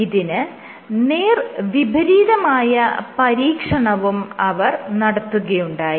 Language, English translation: Malayalam, They did the reverse experiment also